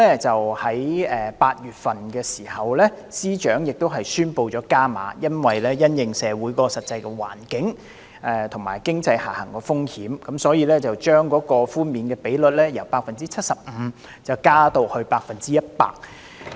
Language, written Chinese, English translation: Cantonese, 在8月的時候，司長宣布加碼，因為要因應社會的實際環境，以及經濟下行風險，所以將寬免比率由 75% 提高至 100%。, In August the Financial Secretary announced an enhanced proposal in response to the actual social environment and the downside risks of the economy and the tax reduction rate was thus proposed to increase from 75 % to 100 %